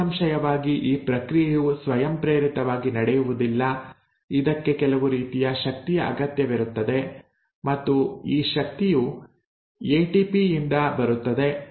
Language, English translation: Kannada, Obviously this process is not going to happen spontaneously, it does require some sort of energy and this energy comes from ATP